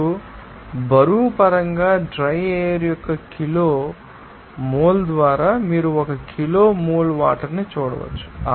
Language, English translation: Telugu, Now, in terms of weight, you can see per kg mole of water by kg mole of dry air